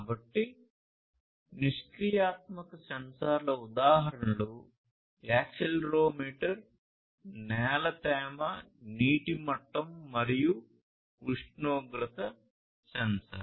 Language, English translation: Telugu, So, examples of passive sensors are accelerometer, soil moisture, water level, temperature sensor, and so on